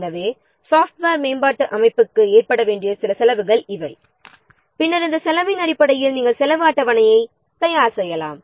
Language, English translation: Tamil, So, these are some of the what charges, these are some of the costs that the software development organization may have to incur and then based on this cost you can prepare the cost schedule